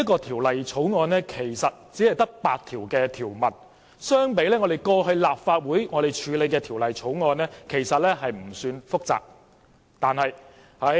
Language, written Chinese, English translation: Cantonese, 《條例草案》只有8項條文，相比立法會過去處理的其他法案，其實不算複雜。, The Bill only has eight clauses and it is not as complicated as the other bills handled by the Legislative Council in the past